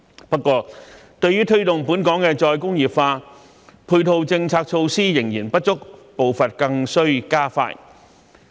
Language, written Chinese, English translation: Cantonese, 不過，對於推動本港的再工業化，配套政策措施仍然不足，步伐更須加快。, However the supporting policies and measures to promote re - industrialization are still insufficient and the pace must be accelerated